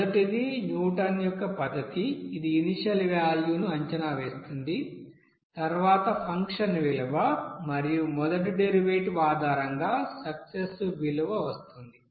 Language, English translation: Telugu, One is simple Newton's method just by guessing this initial value and successive value will be coming based on the, you know function value, and its first derivative